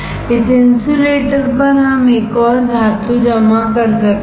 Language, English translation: Hindi, On this insulator we can deposit another metal